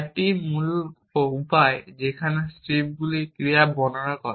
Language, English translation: Bengali, This is the original way in which strips describe the actions